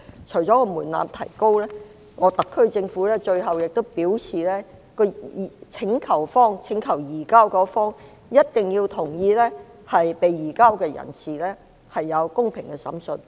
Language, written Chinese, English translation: Cantonese, 除了提高門檻外，特區政府最後也表示，請求方一定要同意被移交人士有公平的審訊。, In addition to raising the threshold the HKSAR Government also stated that the requesting party must agree that the surrendered person has a fair trial